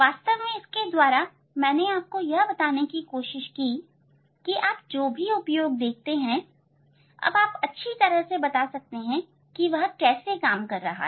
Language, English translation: Hindi, this from this actually I tried to tell you that whatever application you are seeing now you will be able to explain properly how it works